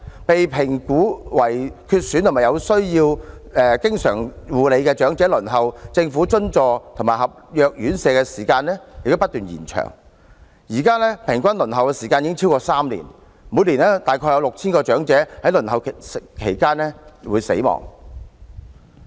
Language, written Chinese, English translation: Cantonese, 被評估為需要長期護理的長者，其輪候政府津助及合約院舍的時間不斷延長，現時平均輪候時間已超過3年，每年約有 6,000 名長者在輪候期間死亡。, For elderly persons categorized as requiring constant attendance their waiting time for places in subvented residential care homes and contract homes continues to extend and now the average waiting time has exceeded three years . Each year about 6 000 elderly persons died while waiting